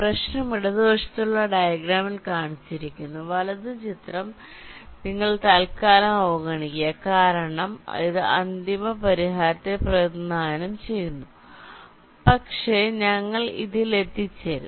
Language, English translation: Malayalam, you ignore the diagram on the right temporally because this represents the final solution, but we shall arriving at this